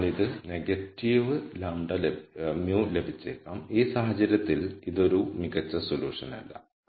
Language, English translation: Malayalam, So, it might get negative mu in which case again this is not an optimum solution